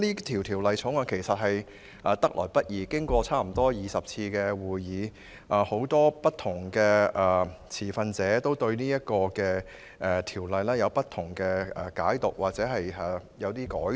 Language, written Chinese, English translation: Cantonese, 《條例草案》得來不易，經過差不多20次會議商討，很多持份者對《條例草案》有不同解讀，而《條例草案》也有一些改動。, The Bill has not been easy to come by . It has been deliberated at some 20 meetings various stakeholders have made different interpretations of the Bill and some amendments have been proposed